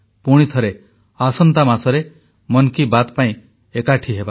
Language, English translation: Odia, Once again next month we will meet again for another episode of 'Mann Ki Baat'